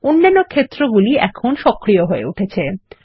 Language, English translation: Bengali, The other fields now become active